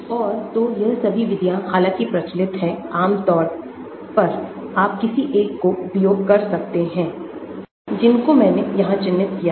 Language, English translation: Hindi, And so all these methods although are popular generally you can stick to the ones which I have marked here